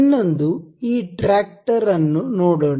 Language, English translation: Kannada, Another, take a look at this tractor